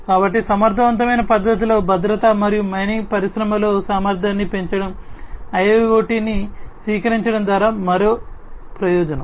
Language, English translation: Telugu, So, in an efficient manner safety and increasing efficiency in the mining industry is another benefit that will come out from the adoption of IIoT